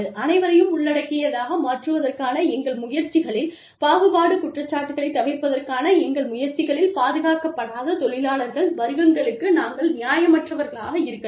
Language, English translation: Tamil, In our attempts, to avoid discrimination charges, in our attempts, to be inclusive, we may end up being unfair, to the non protected classes of workers